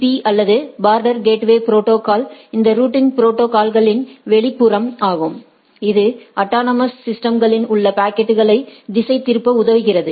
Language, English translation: Tamil, So, BGP or the border gateway protocol is this exterior this routing protocol, which helps in routing packets across autonomous systems right